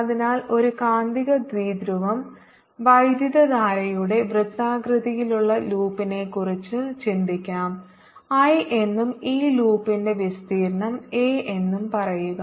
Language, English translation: Malayalam, so a magnetic dipole can be thought of a circular loop of current, say i, and the area of this loop is, say a